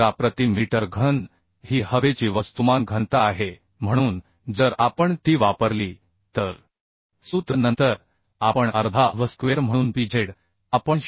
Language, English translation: Marathi, 6vz square actually 1200 kg per meter cube is the mass density of the air so if we use that formula then we half v square so pz we can find out 0